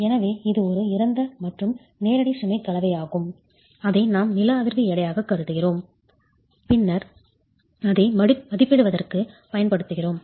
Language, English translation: Tamil, So it is a dead and live load combination that we consider as the seismic weight and then use that to estimate